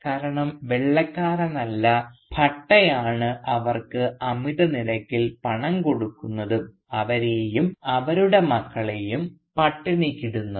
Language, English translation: Malayalam, Because it is Bhatta and not any White man who lends them money at exorbitant rates and who starves them and their children of food